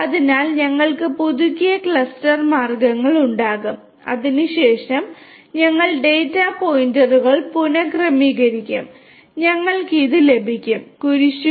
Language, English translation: Malayalam, So, we will have the renewed cluster means right and thereafter we reassign the data points and we get these sorry these will be the cross ones